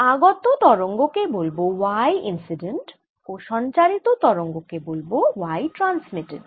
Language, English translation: Bengali, the wave incident is y incident and wave transmitted is y transmitted